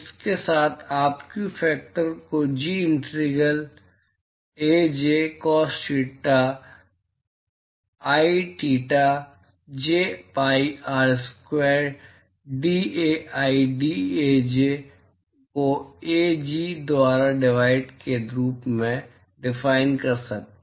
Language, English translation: Hindi, With this, we can now define the view factor as Ji integral Aj cos theta i theta j pi R square dAi dAj divided by Ai Ji